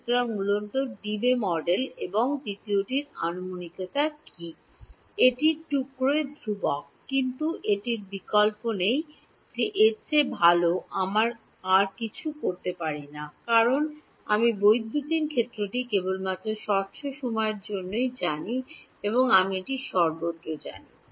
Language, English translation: Bengali, So, what are the approximations basically Debye model and second approximation is this piecewise constant, but that is there is no choice we cannot do anything better than that because I know electric field only at discrete time instance I do not know it everywhere